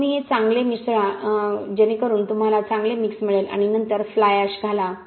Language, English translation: Marathi, Then you add mix this well so that you get a good mix then add fly ash